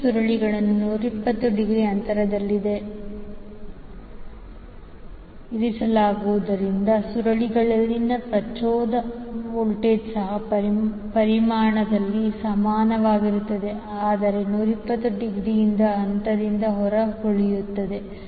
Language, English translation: Kannada, Now, since the coils are placed 120 degree apart, the induce voltage in the coils are also equal in magnitude but will be out of phase by 120 degree